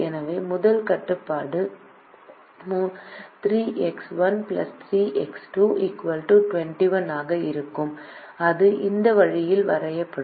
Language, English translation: Tamil, so the first constraint will be three x one plus three x two, equal to twenty one, and that is drawn this way